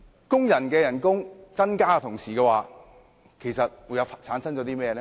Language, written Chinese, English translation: Cantonese, 工人薪酬增加的同時會帶來甚麼問題呢？, What are the problems associated with rising workers wages?